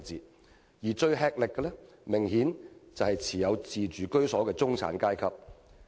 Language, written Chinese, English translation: Cantonese, 感到最吃力的，明顯是只持有自住居所的中產階層。, Clearly middle - class owner - occupiers are the ones bearing the greatest brunt